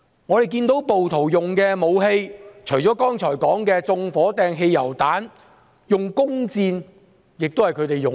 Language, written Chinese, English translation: Cantonese, 我們看到暴徒使用的武器，除剛才所說用以縱火的汽油彈外，弓箭也是其一。, In addition to the scenes described just now we saw that the rioters used bows and arrows in addition to hurling petrol bombs to setting fire